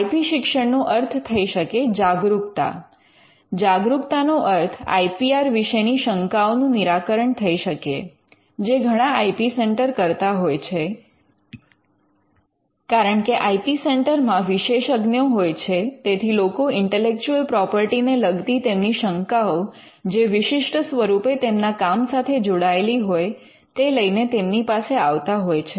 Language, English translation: Gujarati, Now, IP education could mean awareness; by awareness it could mean something like clearing doubts on IPR and which is something most IP centres would have because there are experts within the IP centre they would people would approach the IP centre with certain doubts on intellectual property which may be specific to the work they are doing